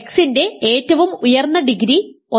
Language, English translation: Malayalam, The highest degree of x is 1